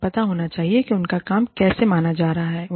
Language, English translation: Hindi, They should know, how their work is being perceived